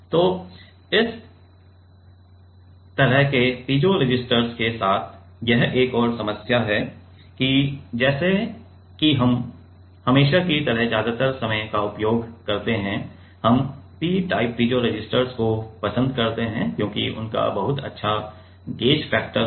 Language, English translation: Hindi, So, this is another problem with this kind of piezo resistors and as we use always like most of the time we prefer P type piezo resistors because they have very good gauge factor